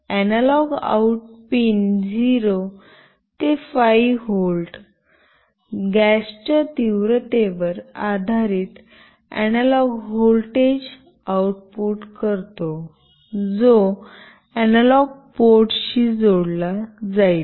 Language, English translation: Marathi, The analog out pin outputs 0 to 5 volt analog voltage based on the intensity of the gas, which will be connected to an analog port